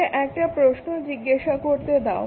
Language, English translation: Bengali, So, let us just ask you one question